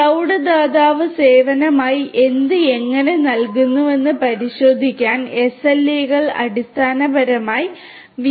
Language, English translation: Malayalam, So, SLAs basically help the industrial clients to check what and how the cloud provider gives as services